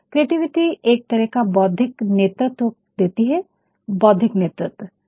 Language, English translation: Hindi, Creativity can actually provide a sort of intellectual leadership, intellectual leadership